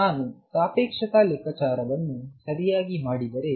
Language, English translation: Kannada, On the other hand if I do a relativistic calculation right